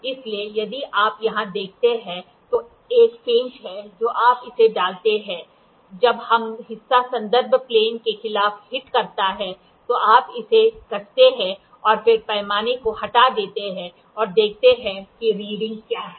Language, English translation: Hindi, So, here if you see here there is a screw which when you put it, when this part hits against the reference plane then you tighten it and then remove the scale out and see what is the readings